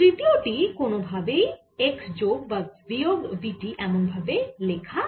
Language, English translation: Bengali, third, one cannot be combined in the form of x plus v t alone or x minus v t alone